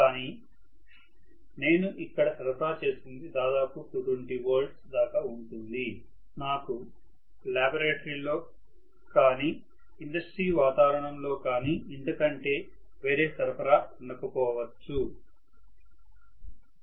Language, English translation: Telugu, but what I am applying is maybe 220 volts, I may not have any other supply in my laboratory or in my you know industrial environment